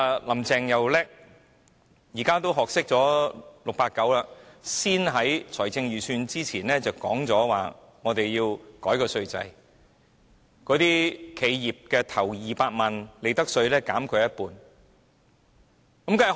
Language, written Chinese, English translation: Cantonese, "林鄭"很聰明，懂得像 "689" 般在公布財政預算案之前提出改革稅制，將企業首200萬元的利得稅率減半。, Carrie LAM is very smart . Like 689 she announced the tax reform before the delivery of the Budget by lowering the profits tax rate for the first 2 million of profits of enterprises by 50 %